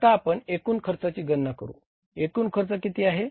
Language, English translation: Marathi, Now we calculate the total cost here